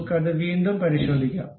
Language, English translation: Malayalam, Let us recheck it